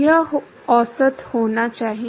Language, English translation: Hindi, It should be average